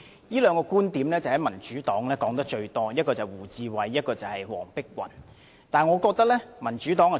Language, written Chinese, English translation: Cantonese, 這個觀點，民主黨提得最多，一是胡志偉議員，二是黃碧雲議員。, This point has been mentioned most frequently by Members of the Democratic Party namely Mr WU Chi - wai and Dr Helena WONG